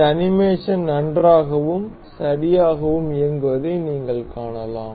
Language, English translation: Tamil, You can see this animation running well and fine